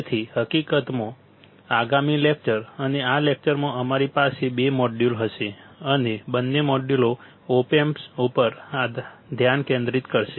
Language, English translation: Gujarati, So, next lecture in fact, and in this lecture we have we will have two modules; and both the modules will focus on op amps all right